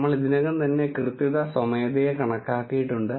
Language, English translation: Malayalam, We have already calculated accuracy manually